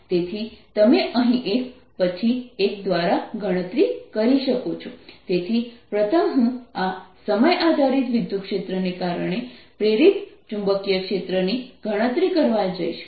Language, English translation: Gujarati, so first i am going to calculate the magnetic field induced due to this time dependent electric field